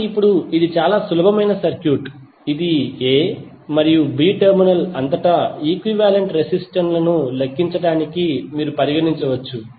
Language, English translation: Telugu, So now this is even very simple circuit which you can consider for the calculation of equivalent resistance across A and B terminal